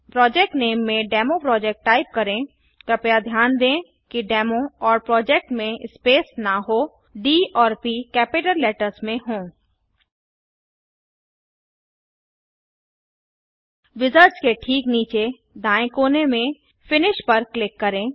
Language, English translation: Hindi, In the project name ,Type DemoProject (please note that their is no space between Demo and Project D P are in capital letters) Click Finish at the bottom right corner of the wizards